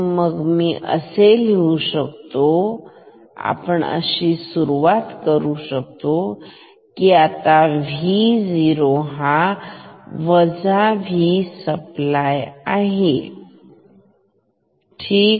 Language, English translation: Marathi, So, let me it is let me write that starting from the starting from the fact that now V o is negative V supply ok